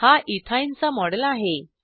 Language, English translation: Marathi, This is the model of Ethyne